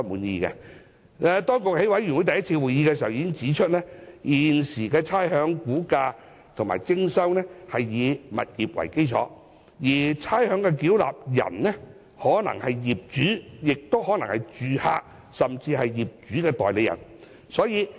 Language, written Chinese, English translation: Cantonese, 當局在小組委員會第一次會議上已經指出，現時差餉估價及徵收是以物業為基礎，而差餉繳納人可能是業主、租客或業主代理人。, At the first meeting of the Subcommittee the Government pointed out that the valuation and collection of rates are based on tenements and a ratepayer can be the owner tenant or agent of the owner